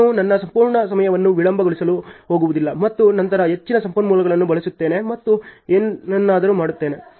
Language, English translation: Kannada, I am not going to delay my whole time and then use more resources and do something and so on